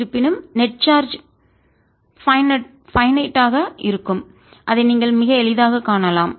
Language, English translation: Tamil, however, the net charge is going to be finite and you can see that very easily